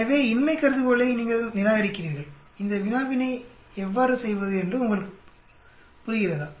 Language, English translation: Tamil, 1, so you reject the null hypothesis do you understand how to do this problem